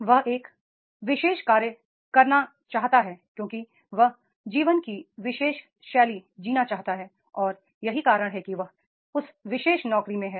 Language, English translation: Hindi, He wants to do a particular job because that particular style of the life he wants to lead and that is in that particular job